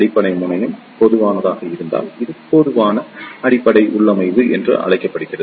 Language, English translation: Tamil, If the base terminal is made common, then this is called as Common Base configuration